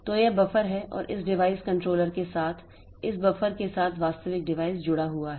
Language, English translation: Hindi, So, this is the buffer and with this buffer with this device controller the actual device is connected